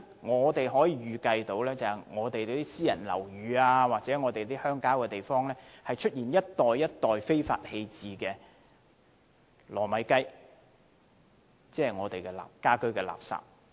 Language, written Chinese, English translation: Cantonese, 我可以預計私人樓宇或鄉郊地方將會出現一袋一袋非法棄置的"糯米雞"，即家居垃圾。, I anticipate that bags of domestic waste will be illegally dumped in private residential buildings or the rural areas